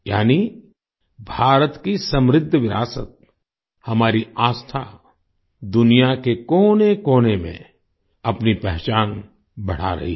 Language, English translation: Hindi, That is, the rich heritage of India, our faith, is reinforcing its identity in every corner of the world